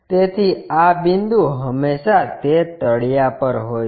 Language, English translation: Gujarati, So, this point always be on that ground